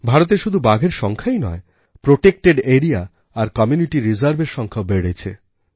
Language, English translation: Bengali, Not only the tiger population in India was doubled, but the number of protected areas and community reserves has also increased